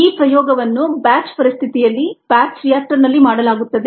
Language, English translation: Kannada, ok, this experiment is done in a batch situation batch reactor